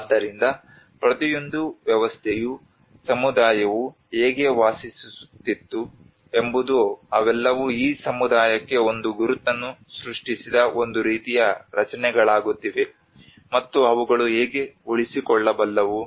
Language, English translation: Kannada, So each and every system how the community lived they are all becoming a kind of structures that have created an identity for this community and how they can sustain